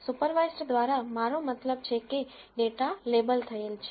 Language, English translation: Gujarati, By supervised I mean that the data is labelled